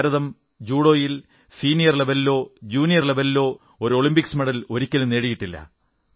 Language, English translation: Malayalam, Hitherto, India had never won a medal in a Judo event, at the junior or senior level